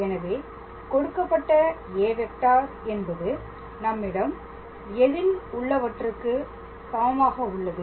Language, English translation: Tamil, So, the given vector a is equals to what do we have